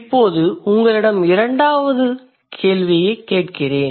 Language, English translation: Tamil, Now may I ask you the second question